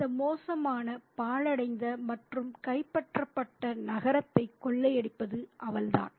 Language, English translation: Tamil, She is the one who is looting this poor, ruined and conquered city